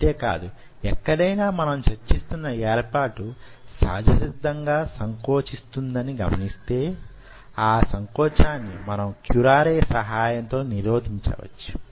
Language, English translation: Telugu, and not only that, if you are seeing that this whole setup is spontaneously contracting, you can stop the contraction by adding curare